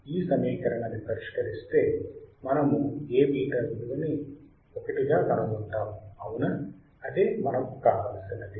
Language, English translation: Telugu, When we solve this equation what we will find A beta equals to 1 right that is what we want that is what we want